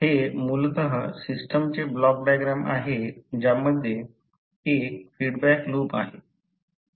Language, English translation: Marathi, So this is basically a typical the block diagram of the system having one feedback loop